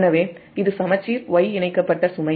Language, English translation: Tamil, so this is balanced y connected load